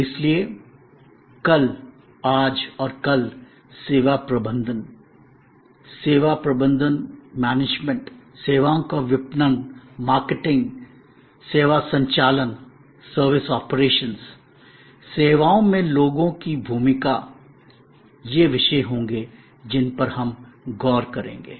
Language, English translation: Hindi, So, this yesterday, today and tomorrow of service management, services marketing, service operations, the role of people in services, these will be topics that we will be looking at